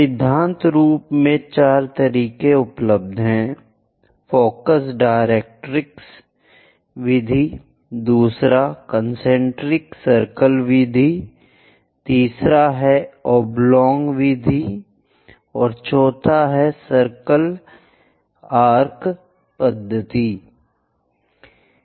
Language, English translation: Hindi, In principle, there are four methods available Focus Directrix method, second one is Concentric circle method, third one is Oblong method, and fourth one is Arc of circle method